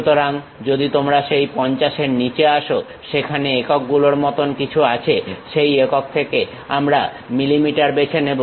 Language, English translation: Bengali, So, if you are coming down below that 50, there is something like units in that unit we can pick mm